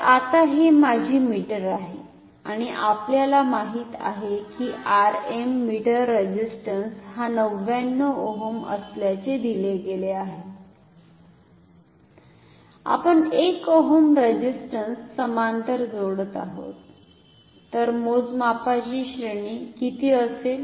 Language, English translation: Marathi, So, now, this is my meter and we know R m meter resistance is given to be 99 ohm we are connecting a 1 ohm resistance in parallel so, what will be the range of measurement ok